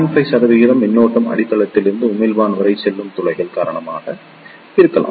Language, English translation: Tamil, 5 percent current will be due to the holes passing from base to emitter